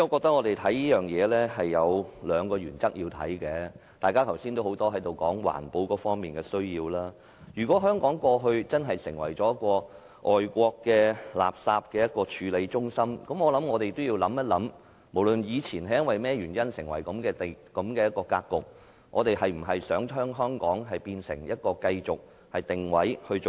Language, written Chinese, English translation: Cantonese, 多位議員剛才均在此提及環保的需要，如果香港過去真的已成為外國垃圾的處理中心，我們便要想一想，無論以前是因何原因造成這樣的格局，我們是否想讓香港繼續定位這樣做呢？, Just now various Members mentioned the need of environmental protection here . If Hong Kong has indeed become a processing centre of imported waste we have got to think irrespective of the previous causes for such a predicament whether we wish to let Hong Kong maintain such a positioning